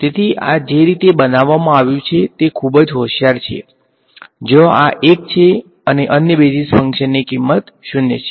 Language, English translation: Gujarati, So, the way these are constructed is very clever again the place where this there is 1, the other basis function has a value 0